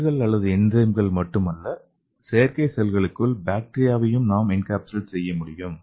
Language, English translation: Tamil, And not only the cells or enzymes we can also encapsulate the bacteria